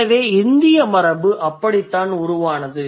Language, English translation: Tamil, So that's how the Indic tradition evolved